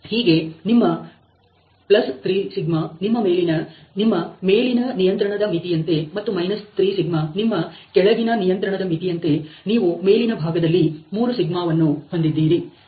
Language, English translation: Kannada, So, on the upper side you have 3σ as your +3σ as your upper control limit and 3σ on the lower side as your lower control limit